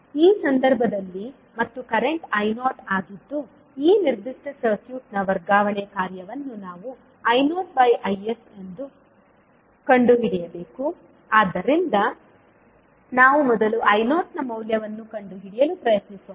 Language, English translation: Kannada, In this case and the current is I naught now we have to find out the transfer function of this particular circuit that is I naught by Is, so let us first let us try to find out the value of I naught